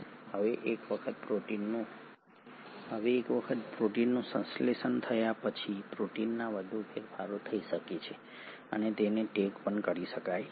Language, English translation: Gujarati, Now once the proteins have been synthesised, the proteins can get further modified and they can even be tagged